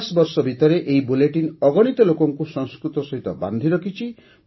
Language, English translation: Odia, For 50 years, this bulletin has kept so many people connected to Sanskrit